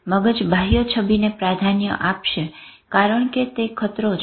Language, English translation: Gujarati, The brain will prefer the external imagery because that is a threat